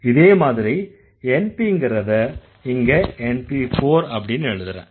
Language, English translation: Tamil, Like that you can actually have this NP is NP4 you can write